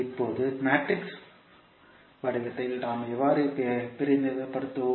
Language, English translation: Tamil, Now in matrix form how we will represent